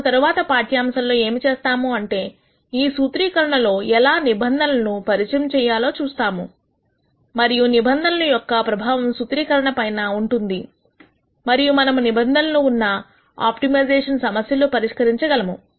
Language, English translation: Telugu, What we are going to do in the next lecture is to look at how we can introduce constraints into this formulation, and what effect does a constraint have on the formulation and how do we solve constrained optimization problems